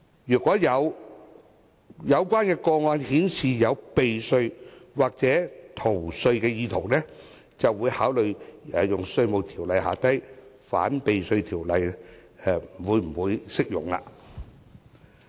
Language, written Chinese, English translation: Cantonese, 如果有關個案顯示有避稅或逃稅意圖，局方則會考慮《稅務條例》下的反避稅條文是否適用。, If there are any signs of tax avoidance or evasion IRD will consider whether the anti - avoidance provisions of IRO are applicable